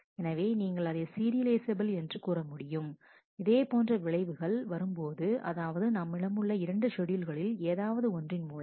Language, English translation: Tamil, So, we will call it you will serializable, if it has the same effect, as some of the one of the 2 schedules that we have here